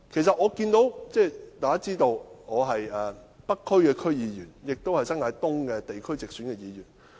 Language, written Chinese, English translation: Cantonese, 大家也知道，我是北區區議員，亦是新界東地區直選議員。, As Members may know I am a North District Council member and directly - elected Member of the New Territories East geographical constituency